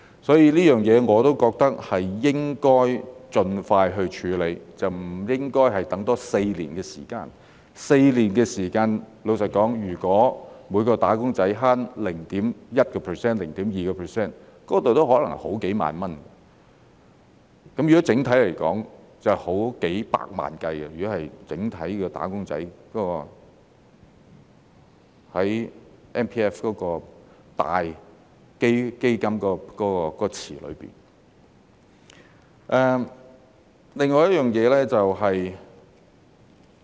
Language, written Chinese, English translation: Cantonese, 所以，這方面我覺得應該盡快處理，而不應多等4年 ；4 年時間，老實說，如果每名"打工仔"節省 0.1% 或 0.2%， 那可能已是好幾萬元；整體來說，如果按整體"打工仔"在 MPF 的大基金池來計算，便已是數百萬元。, Thus in my view this should be handled as soon as possible instead of delaying for four more years . In four years time frankly speaking if each wage earner saves 0.1 % or 0.2 % it may already amount to tens of thousands of dollars . On the whole if we calculate on the basis of the overall MPF fund pool of wage earners it will amount to millions of dollars